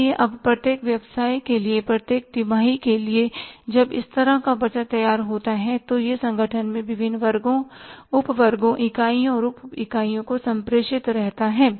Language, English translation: Hindi, So, now for every quarter for every business, when this kind of the budget is ready, it remains communicated to the different sections, subsections, units and subunits in the organization